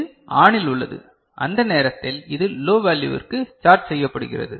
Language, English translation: Tamil, This is ON and at that time this is charged to a low value